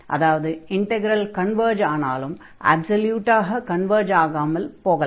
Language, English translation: Tamil, So, if the integral converges, the integral may not converge absolutely